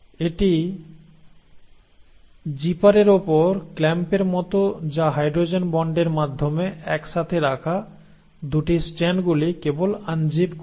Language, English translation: Bengali, So it is like the clamp on the zipper which is just unzipping the 2 strands which are held together through hydrogen bonds